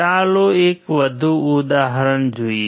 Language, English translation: Gujarati, Let us see one more example